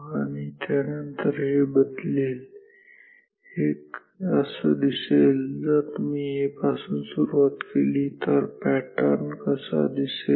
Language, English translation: Marathi, So, then this will change, this will be like this, if you start from value A and this is how the pattern will B